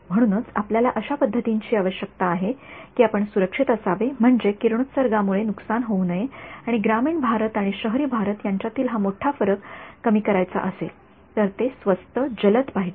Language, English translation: Marathi, So, of course, we need methods that are we have to be safe means no radiation damage, and if this big divide between rural India and urban India has to be bridged then it has to be inexpensive quick